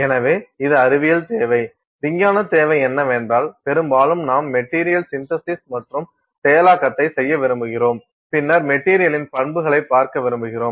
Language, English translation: Tamil, So, this is the scientific need; so, the scientific need is that we often we want to do material synthesis and processing and then we want to look at the properties of the material